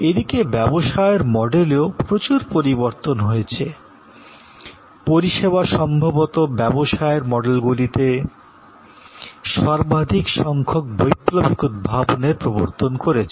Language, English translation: Bengali, There are changes in the business models; service is perhaps introducing the most number of revolutionary innovations in business models